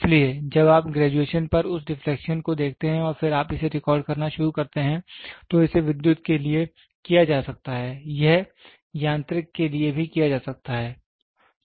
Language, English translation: Hindi, So, when you see that deflection on the graduation and then you start recording it can be done for electrical, it can be done also for mechanical